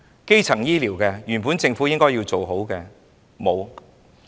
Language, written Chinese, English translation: Cantonese, 基層醫療，是政府本應做好的，但沒有做好。, The Government is obliged to provide proper primary healthcare services but it fails to do so